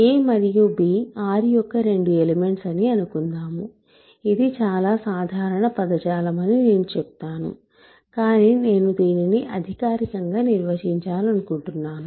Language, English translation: Telugu, So, let us say a and b are two elements of R, we say that so, this is very common language, but I want to formally define this